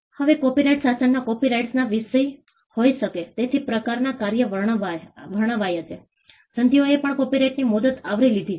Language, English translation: Gujarati, Now, the copyright regime described the kind of works that can be subject matter of copyright, the treaties also covered the term of copyright